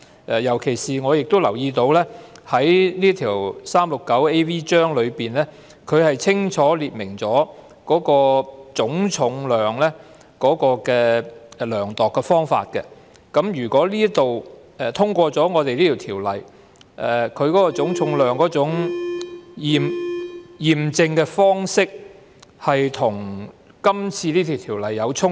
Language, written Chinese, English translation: Cantonese, 此外，我亦留意到第 369AV 章清楚列明量度的方法是總重量，所以一旦《條例草案》獲得通過，這種涉及總重量的驗證方式將與《條例草案》出現衝突。, Furthermore I also notice that gross weight is used for measurement as stated in Cap . 369AV . The inspection involving gross weight will run contrary to the Bill upon its passage